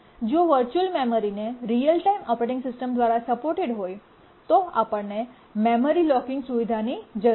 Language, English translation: Gujarati, If virtual memory is supported by a real time operating system then we need the memory locking feature